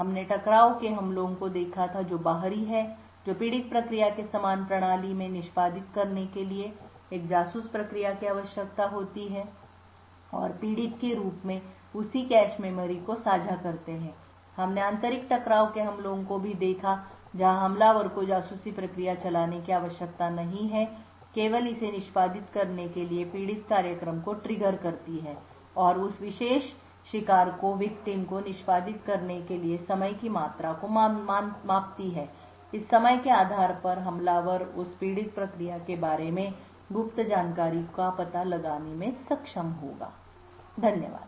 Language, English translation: Hindi, We had looked at the collision attacks which are external which requires a spy process to execute in the same system as the victim process and also share the same cache memory as the victim, we also looked at internal collision attacks where an attacker need not run a spy process it only trigger the victim program to execute and measure the amount of time it took for that particular victim to execute and based on this time the attacker would be able to infer secret information about that victim process, thank you